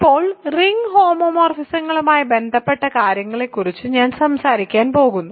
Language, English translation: Malayalam, So, now, I am going to start talking about associated things to ring homomorphisms